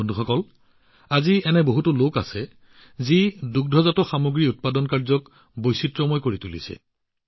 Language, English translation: Assamese, Friends, today there are many people who are diversifying by adopting dairy